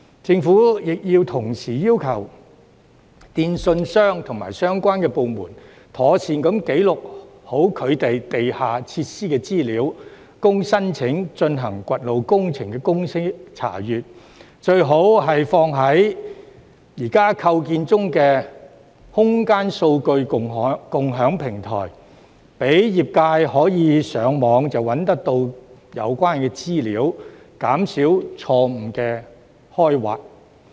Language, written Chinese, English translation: Cantonese, 政府亦要同時要求電訊商及相關部門，妥善記錄其地下設施的資料，供申請進行掘路工程的公司查閱，最好是存放在現時構建中的空間數據共享平台，讓業界可以上網便找到有關資料，減少錯誤的開挖。, The Government should also require telecommunications operators and related departments to properly record information on their underground facilities for inspection of companies applying for road excavation projects . The records are preferably kept on the Common Spatial Data Infrastructure currently under development so that the sector can find the information online to minimize erroneous excavations